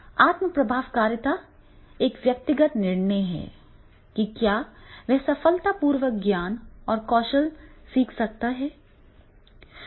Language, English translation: Hindi, Self efficacy is a person's judgment about whether he or she can successfully learn knowledge and skills